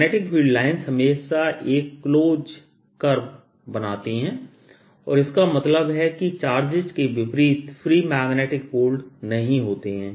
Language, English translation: Hindi, magnetic field lines always close on each other and this means that there is no free magnetic pole, unlike the charges